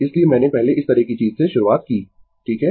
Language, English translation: Hindi, So, I started with this kind of thing first, right